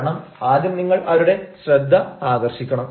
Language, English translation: Malayalam, you are going to attract their attention